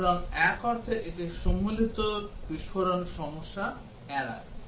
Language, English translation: Bengali, So in a sense, it avoids the combinatorial explosion problem